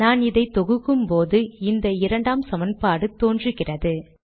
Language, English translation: Tamil, When I compile it, I get the second equation appearing